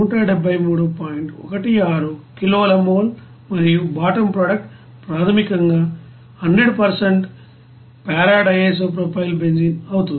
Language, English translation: Telugu, 16 kilo mole and bottom product will be basically it will be you know that 100% of p DIPB